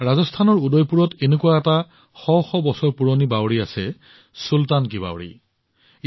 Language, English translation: Assamese, In Udaipur, Rajasthan, there is one such stepwell which is hundreds of years old 'Sultan Ki Baoli'